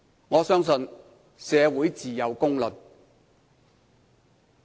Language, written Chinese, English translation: Cantonese, 我相信社會自有公論。, I believe the community will pass its fair judgment